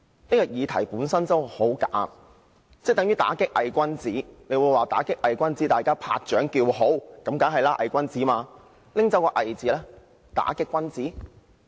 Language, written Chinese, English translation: Cantonese, 這項議題本身已很"假"，即等於"打擊偽君子"，大家聽到"打擊偽君子"都會拍掌叫好，這是當然的，因為目標是"偽君子"。, This is just like the case of combating bogus gentlemen . All will naturally applaud if they hear of combating bogus gentlemen . This is only natural because the targets are bogus gentlemen